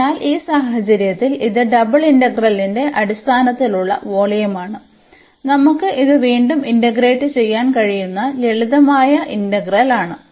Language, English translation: Malayalam, So, in this case this is the volume in terms of the double integral, which we can again this is simple integrand we can integrate